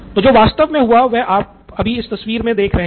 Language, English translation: Hindi, So what really happened is the picture that you see right now